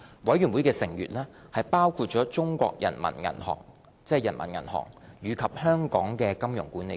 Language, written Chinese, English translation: Cantonese, 委員會成員包括中國人民銀行和香港金融管理局。, The Committee members include the Peoples Bank of China PBoC and the Hong Kong Monetary Authority HKMA